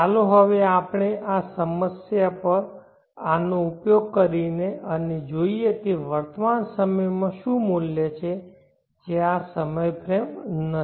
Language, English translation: Gujarati, Now let us apply this to this problem and see what is the present words at this time frame which is not the present time frame